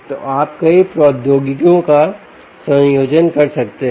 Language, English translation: Hindi, so you can combine several technologies, right